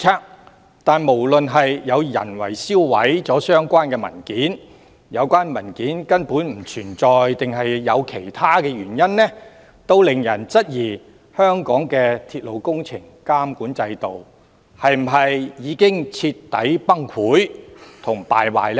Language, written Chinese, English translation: Cantonese, 可是，不論有人銷毀了相關文件或有關文件根本不存在，抑或其他原因，均令人質疑香港的鐵路工程監管制度是否已經徹底崩潰和敗壞呢？, Nevertheless no matter whether someone has destroyed the relevant documents or such documents actually do not exist or there are some other reasons it has caused suspicions about whether the system for monitoring railway works in Hong Kong has thoroughly collapsed and degenerated